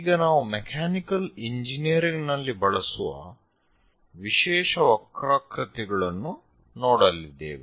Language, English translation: Kannada, And now we are going to look at special curves used in mechanical engineering